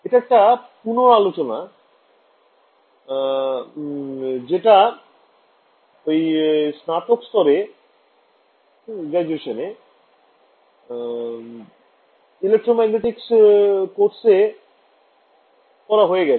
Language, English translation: Bengali, This is a bit of a revision of what you would have done in the your undergraduate electromagnetics course